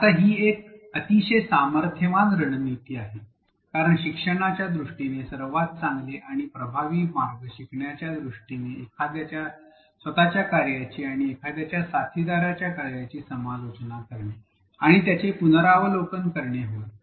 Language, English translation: Marathi, Now, this is a very powerful strategy, because in terms of learning one of the best ways most efficient and effective ways of learning is to critically examine and review one’s own work and the work of one’s peers